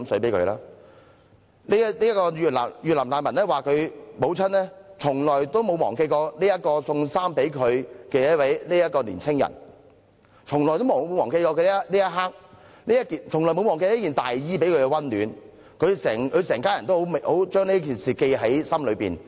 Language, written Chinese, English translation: Cantonese, 這位前越南難民說，他母親從來沒有忘記這位給她送衣服的年青人，從來沒有忘記那一刻那件大衣給她的溫暖，一家人都把這事情銘記於心。, This man who was once a Vietnamese refugee said that his mother has never forgotten the young British man who shared his coat with her that day and neither has she forgotten the warmth that the coat brought to her at that moment . The incident has engraved on the heart of every member of his family